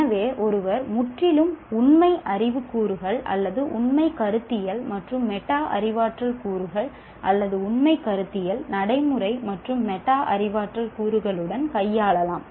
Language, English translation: Tamil, So, one may be dealing with purely factual knowledge elements or factual, conceptual, and metacognitive elements, or factual, conceptual, procedural and metacognitive elements